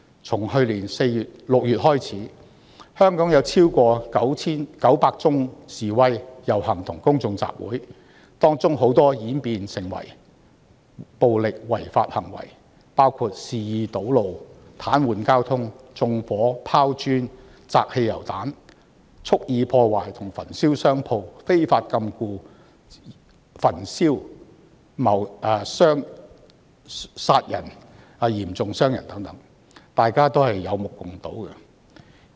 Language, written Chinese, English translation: Cantonese, 自去年6月開始，香港已有超過 9,900 次示威、遊行和公眾集會，當中很多均演變成為暴力違法行為，包括肆意堵路、癱瘓交通、縱火、拋磚、擲汽油彈、蓄意破壞和焚燒商鋪、非法禁錮、殺人及嚴重傷人等，大家都有目共睹。, Since June last year more than 9 900 demonstrations processions and public assemblies have been held in Hong Kong many of which have eventually turned into violent illegal activities including recklessly blocking roads paralysing traffic setting fire hurling bricks and petrol bombs deliberately vandalizing and burning shops unlawful detention murder and serious wounding . All such acts are clearly seen by all